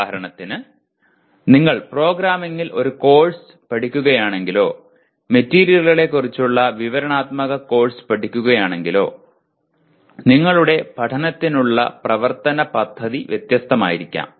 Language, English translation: Malayalam, For example if you are learning a course in programming or if you are studying a descriptive course on materials your plan of action will be different for learning